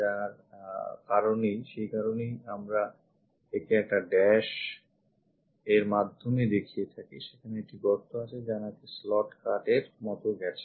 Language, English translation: Bengali, So, that is the reason we show it by dashed one and there is a hole there also which goes like a slot cut